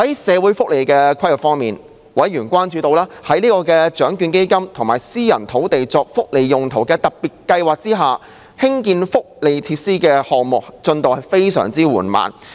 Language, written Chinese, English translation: Cantonese, 社會福利規劃方面，委員關注到，在獎券基金及私人土地作福利用途特別計劃下，興建福利設施的項目進度非常緩慢。, With regards to social welfare planning members were concerned about the lengthy process of implementing welfare facility projects under the Lotteries Fund and the Special Scheme on Privately Owned Sites for Welfare Uses